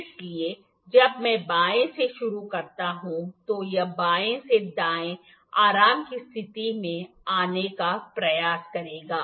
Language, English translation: Hindi, So, when I start from the left it will try to come to the relax position from left to right